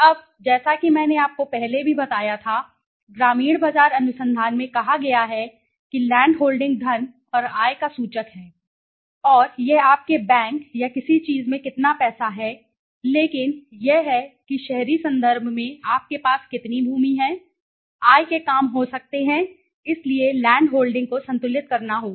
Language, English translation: Hindi, Now, one is as I told you earlier also in rural market research says that land holding is an indicator of wealth and income and it is not about how much money you have in your bank or something but it is how much of land you have in the urban context may be income works right, so land holding has to be balanced